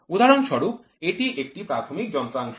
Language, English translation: Bengali, For example this is a primary device